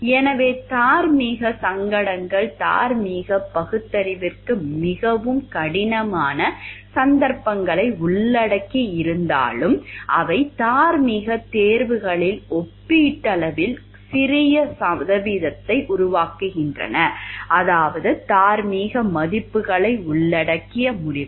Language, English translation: Tamil, So, yet although moral dilemmas currents comprise the most difficult occasions for moral reasoning, they constitute a relatively small percentage of moral choices, that is decisions involving the moral values